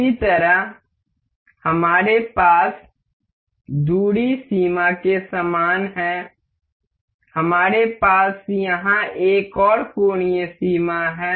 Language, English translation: Hindi, Similarly, we have similar to the similar to the distance limit, we have here is angular limit